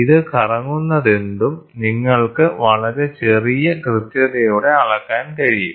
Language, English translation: Malayalam, So, whatever this rotates, you can measure it at a very small accuracy